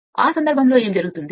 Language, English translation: Telugu, And in that case what will happen